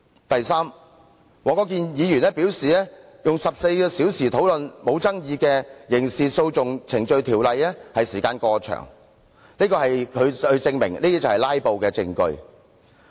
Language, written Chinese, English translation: Cantonese, 第三，黃國健議員表示花14小時討論不具爭議的根據《刑事訴訟程序條例》動議的擬議決議案，時間過長，他說這就是"拉布"的證據。, Thirdly Mr WONG Kwok - kin indicated that a 14 - hour discussion on an uncontroversial proposed resolution under the Criminal Procedure Ordinance is too long saying that this is proof of filibustering